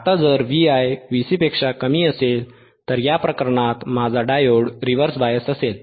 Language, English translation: Marathi, Now, what if V iVi is less than V cVc, V i is less than V c in this case in this case my diode will be reverse bias right